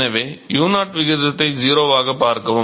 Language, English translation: Tamil, So, look at the ratio u0 tends to 0